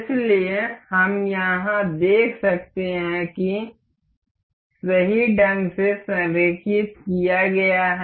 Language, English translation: Hindi, So, we can see over here aligned in the correct way